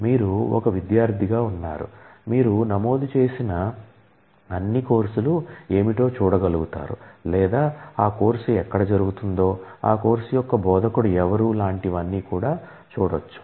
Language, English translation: Telugu, And you are when you access the database you should be able to see what all courses you are enrolled in or where is that course being held who is the instructor of that course and so on